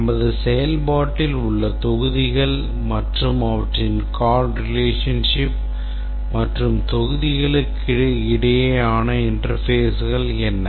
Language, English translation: Tamil, What are the modules in our implementation and their call relationships and the interfaces between the modules